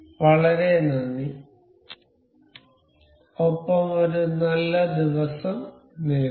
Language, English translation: Malayalam, Thank you very much and have a good day